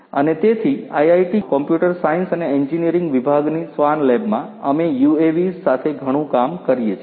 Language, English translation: Gujarati, And so, in our lab the swan lab in the Department of Computer Science and Engineering at IIT Kharagpur, we work a lot with UAVs